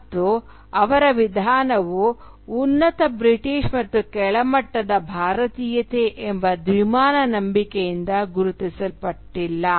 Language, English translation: Kannada, And their approach to India was not marked by a belief in the binary of superior Britishness and inferior Indianness